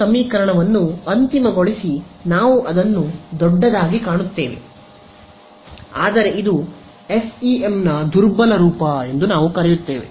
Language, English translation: Kannada, Final this equation that we get it looks big, but it actually very easy we call this is the weak form of the FEM ok